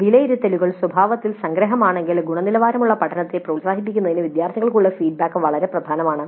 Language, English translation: Malayalam, Though these assessments are summative in nature, the feedback to the students is extremely important to promote quality learning